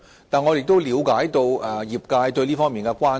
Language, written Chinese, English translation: Cantonese, 然而，我亦了解業界對這方面的關注。, However I also understand the professions concern in this respect